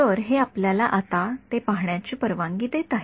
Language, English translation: Marathi, So, this is allowing us to see that now